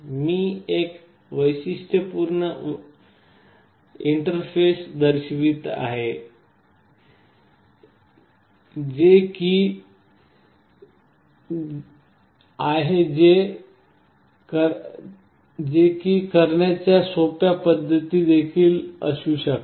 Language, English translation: Marathi, I am showing a typical interface there can be simpler ways of doing it also